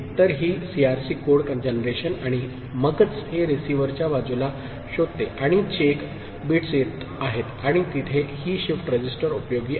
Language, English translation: Marathi, So, this is the CRC code generation and then, it is at the receiver side its detection and this is the way the check bits are coming and there this shift register is useful